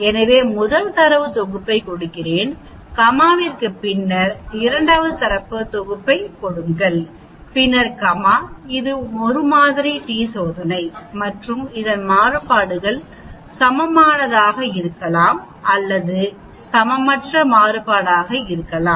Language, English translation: Tamil, So we give the first data set and then comma we give the second data set then we comma it is a 1 sample t test and we can give equal variance or unequal variance so if I put 3